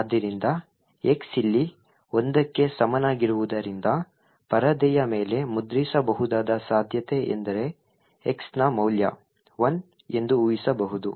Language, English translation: Kannada, So, one would guess that since x is equal to one over here what would likely be printed on the screen is that the value of x is 1